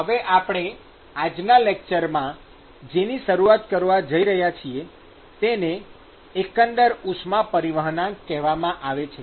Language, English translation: Gujarati, Now, what we are going to start with in today lecture is, we are going to look at what is called the Overall heat transfer coefficient